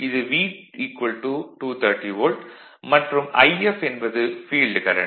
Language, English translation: Tamil, And this is 230 volt is given, and this is the field current I f